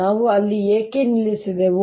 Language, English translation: Kannada, why did we stop there